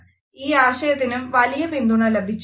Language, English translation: Malayalam, This idea has also received a lot of critical support